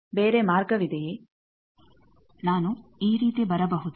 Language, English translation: Kannada, Is there any other path can I come like this